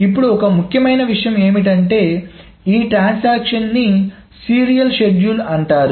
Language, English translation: Telugu, Now one important thing is that this transaction is called a serial schedule